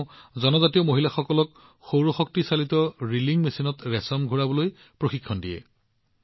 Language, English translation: Assamese, She trains tribal women to spin silk on a solarpowered reeling machine